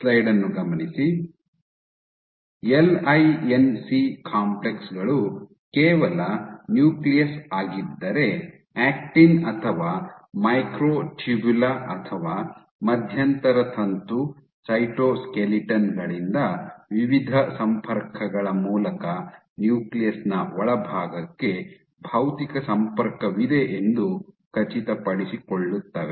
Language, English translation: Kannada, So, these LINC complexes just make sure, that if this is my nucleus you have a physical connection from actin or micro tubula or intermediate filament cytoskeletons to the inside of the nucleus through various connections